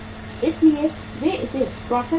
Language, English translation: Hindi, So they are processing it